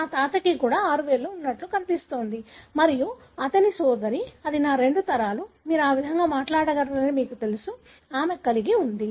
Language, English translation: Telugu, It looks like my grandfather also had six fingers, and his sister, that is my two generations back, you know you can talk about that way, she had